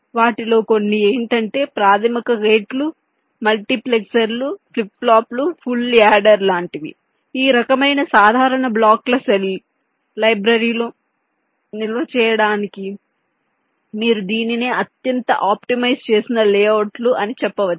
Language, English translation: Telugu, some of them are shown, some that the basic gates, multiplexers, flip plops say, say full header, this kind of simple blocks are stored in the cell library in terms of, you can say, highly optimized layouts